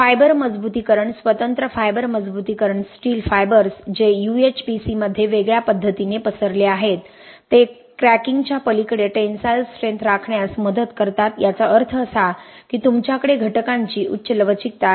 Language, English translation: Marathi, The fiber reinforcement the discrete fiber reinforcement, steel fibers that are spread in a discrete fashion in UHPC helps maintain the tensile capacity beyond cracking which means you have high ductility of the member